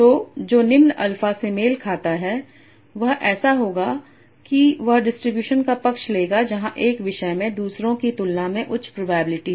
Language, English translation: Hindi, So what will happen as your alpha become small they will prefer the probability distribution where one topic is having a high probability and others are having low probability